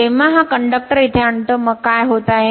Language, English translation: Marathi, Whenever bringing this conductor here, then what is happening